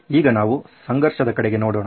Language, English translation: Kannada, So now we are looking at a conflict